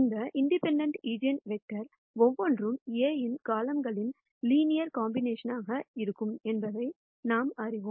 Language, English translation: Tamil, We also know that each of these independent eigenvectors are going to be linear combinations of columns of A